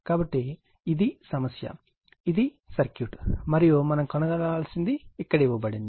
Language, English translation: Telugu, So, this is the problem, this is the circuit, this is the circuit, and this is the what we have to determine everything is given here right